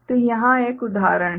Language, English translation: Hindi, So, here is an example